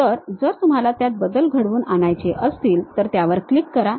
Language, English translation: Marathi, So, you want to really edit that one, click that one